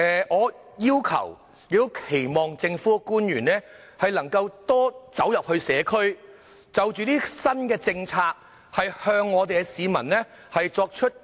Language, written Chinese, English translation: Cantonese, 我期望政府官員能夠多走入社區，向市民介紹這些新政策。, I expect government officials to reach out more to the local communities in introducing new policies to the public